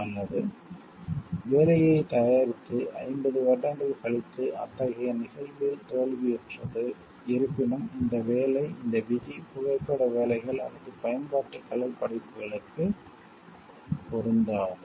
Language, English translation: Tamil, Or failing such an event 50 years from the making of the work; however, this work does not this rule does not apply to photographic works or to works of applied art